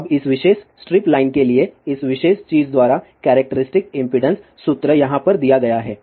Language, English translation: Hindi, Now for this particular strip line, the characteristic impedance formula is given by this particular thing over here